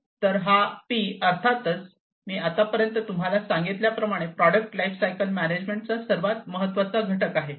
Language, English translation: Marathi, So, this P is obviously, as I was telling you so far the most important component of product lifecycle management